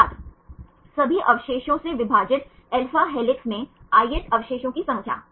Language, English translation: Hindi, Number of ith residue in alpha helix divided by all residues